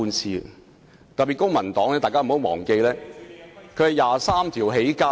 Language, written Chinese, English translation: Cantonese, 請大家不要忘記，公民黨是靠"二十三條"起家的......, Members should not forget that the Civic Party built its reputation on Article 23 of the Basic Law